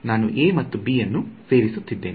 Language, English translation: Kannada, So, I am adding a and b right